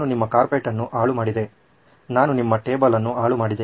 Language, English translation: Kannada, I spoilt your carpet, I spoilt your table